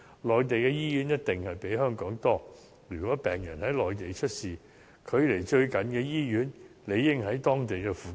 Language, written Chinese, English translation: Cantonese, 內地的醫院一定比香港多，如果病人在內地出事，距離最就近的醫院應在當地附近。, The hospital closest to a patient who suffers from an acute medical condition on Mainland should indeed be in vicinity given there are certainly more hospitals on the Mainland than in Hong Kong